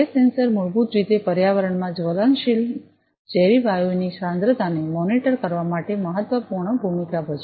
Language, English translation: Gujarati, A gas sensor basically plays a vital role for monitoring the concentration of flammable combustible toxic gases in the environment